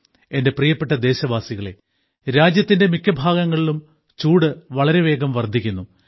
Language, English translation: Malayalam, My dear countrymen, summer heat is increasing very fast in most parts of the country